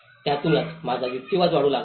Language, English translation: Marathi, That is where my argument started building up